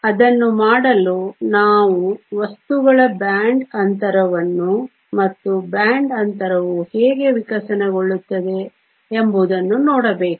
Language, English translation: Kannada, In order to do that we need to look at the band gap of material and how the band gap evolves